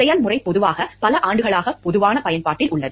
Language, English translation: Tamil, The process generally is one which has been in common used for several years